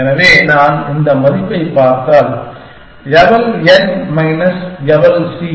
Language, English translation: Tamil, So, if I look at this value, eval n minus eval c